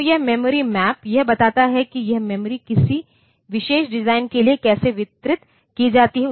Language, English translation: Hindi, So, this memory map, this tells like how this memory is distributed for a particular design